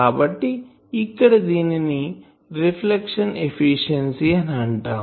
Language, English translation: Telugu, So, here this that means we can say reflection efficiency